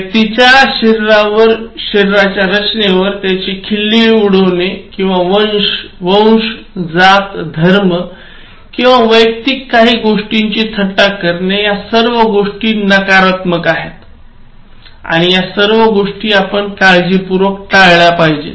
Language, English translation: Marathi, So, depending on the person’s physique, the body structure, making fun of it or making fun of the race, caste, religion or anything personal are all negative, and should be carefully avoided